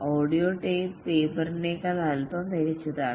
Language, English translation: Malayalam, Audio tape is slightly better than paper